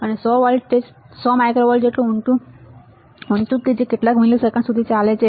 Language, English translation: Gujarati, And the voltage is as high as 100 microvolts lasts for several milliseconds